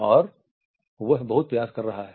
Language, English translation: Hindi, And he is trying very hard